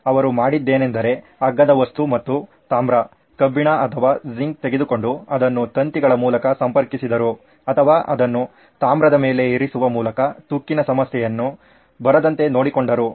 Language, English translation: Kannada, What all he did was he took a cheaper substance and copper, iron or zinc and he connected it through wires I guess, to or just put place it on top of the copper and it took care of this corrosion problem